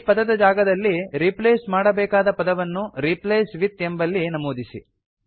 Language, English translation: Kannada, Enter the text that you want to replace this with in the Replace with field